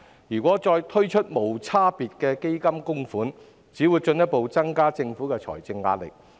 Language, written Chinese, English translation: Cantonese, 如果再推出無差別的基金供款，只會進一步增加政府的財政壓力。, The introduction of this universal fund scheme will only further increase the financial burden on the Government